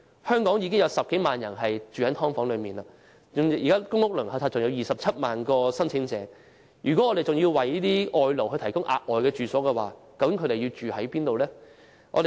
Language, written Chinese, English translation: Cantonese, 香港現時已有10多萬人在"劏房"居住，而公屋輪候冊上還有27萬名申請者正在輪候，如果我們還要為外勞提供住所，究竟可以安排他們在哪裏居住呢？, In Hong Kong more than 100 000 people are now living in subdivided units whereas 270 000 public rental housing PRH applicants on the Waiting List are still waiting . If we are to provide accommodation for foreign labour where can they stay?